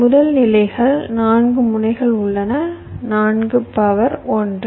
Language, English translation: Tamil, first level: there are four nodes